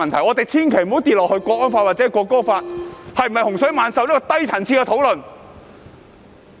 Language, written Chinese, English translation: Cantonese, 我們千萬不要墮入國安法或《條例草案》是否洪水猛獸如此低層次的討論。, We must not fall into a low - level discussion as to whether the national security law or the Bill is draconian